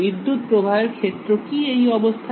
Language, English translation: Bengali, What is the electric field in this case